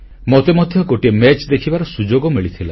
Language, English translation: Odia, I also got an opportunity to go and watch a match